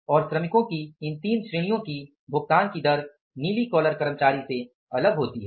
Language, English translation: Hindi, And the rate of payment to these three category of the workers, blue collar employees, are different